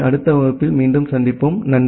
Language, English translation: Tamil, So, see you again in the next class